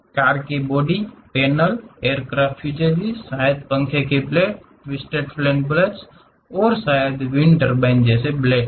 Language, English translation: Hindi, Car body panels, aircraft fuselages, maybe the fan blades, the twisted fan blades and perhaps wind turbine blades